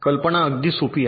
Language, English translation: Marathi, the idea is very simple